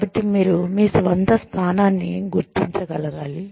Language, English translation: Telugu, So, you have to be able to identify, your own position